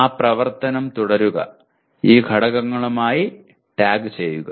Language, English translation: Malayalam, Continue that activity and tag them with these elements